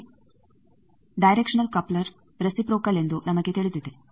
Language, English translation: Kannada, Next, we know directional coupler is reciprocal